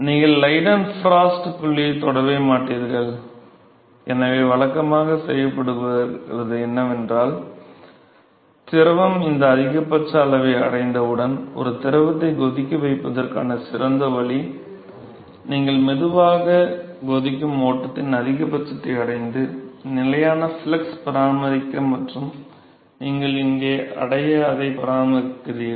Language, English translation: Tamil, You never touch the Leidenfrost point and so, what is typically is done is that once the fluid reaches this maximum, so, the best way to boil a fluid is, you slowly go on reach the maxima on the boiling flow and then you maintain a constant flux condition maintain a constant flux and you reach here